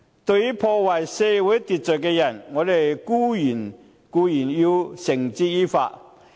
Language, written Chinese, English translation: Cantonese, 對於破壞社會秩序的人，我們必定要繩之以法。, We will definitely bring people who disrupt social order to justice